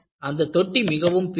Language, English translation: Tamil, And, the tank was very huge